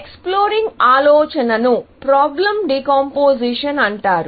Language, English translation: Telugu, So, the idea that you want to explore is called problem decomposition